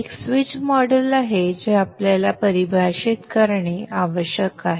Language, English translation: Marathi, There is a switch model which we need to define